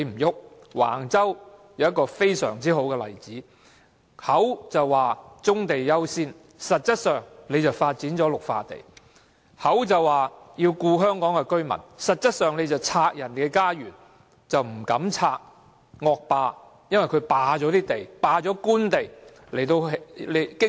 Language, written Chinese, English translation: Cantonese, 橫洲便是一個很好的例子，政府口說棕地優先，實質上便發展綠化地；口說要照顧香港居民，實質上卻拆人家園，但卻不敢到被惡霸霸佔用作經營車場的官地進行清拆。, Wang Chau is a very good example . While the Government has vowed to give development priority to brownfield sites it has actually developed green belt areas; while it has vowed to take care of Hong Kong residents it has actually torn down their homes and dared not resume Government lands illegally occupied by some thugs to operate car parks and made a fortune for years